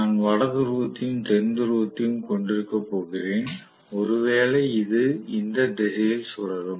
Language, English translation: Tamil, So, I am going to have the North Pole and South Pole, maybe being rotated in this direction